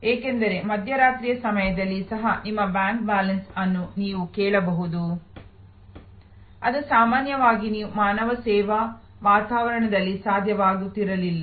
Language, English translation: Kannada, Because, you can ask your bank balance even at mid night which normally you would not had been possible in the human service environment